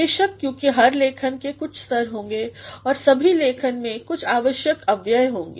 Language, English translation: Hindi, Of course, because every writing will have some stages and all these writings will also have some essential components